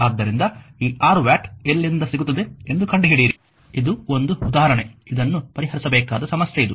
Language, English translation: Kannada, So, you find out from where you will get this 6 watt, this is an example this is a your what you call problem for you should solve this one right